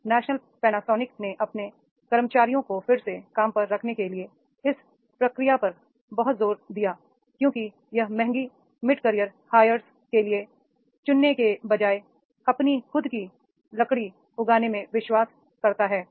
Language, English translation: Hindi, Then National Panasonic puts a great deal of emphasis on this process for re skilling its employees as it believes in growing its own timber rather than opting for the expensive mid career hires